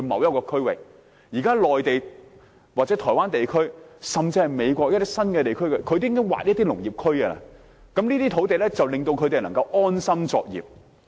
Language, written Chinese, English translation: Cantonese, 現時在內地、台灣，甚至是美國的一些新地區，當局也會劃出農業區，他們可以在這些土地安心作業。, At present in the Mainland and Taiwan as well as certain new regions in the United States the authorities will set aside zones for agricultural development so that farmers can operate on these sites without worries